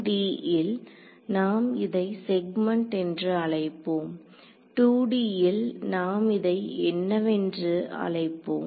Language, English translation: Tamil, In 1 D we can call them segments in 2 D what do we call it